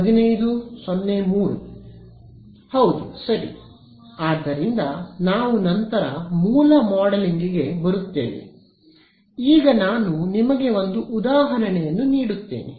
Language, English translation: Kannada, Yeah ok; so, we will come to source modeling later, but let me just give you an example